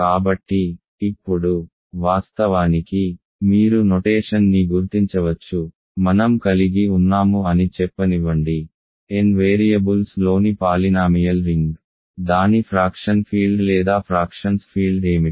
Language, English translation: Telugu, So, now, of course, you can figure out the notation for let us say I have, a polynomial ring in n variables what is its fraction field or field of fractions